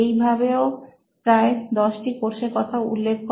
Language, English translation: Bengali, So he enumerated about 10 courses